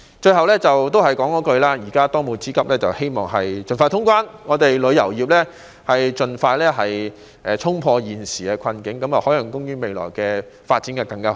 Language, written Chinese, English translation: Cantonese, 最後，還是同一句，現在當務之急是盡快通關，希望旅遊業可以盡快衝破現時的困境，海洋公園未來的發展便會更好。, In closing I would like to repeat that the most pressing task now is to resume cross - border travel expeditiously . I hope the tourism industry can break through the current difficulties as soon as possible and Ocean Park will subsequently have a better development in the future